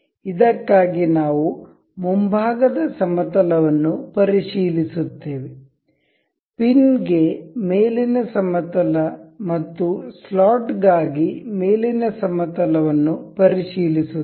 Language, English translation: Kannada, We will check the front plane for this, top plane for this the pin and the top plane for the slot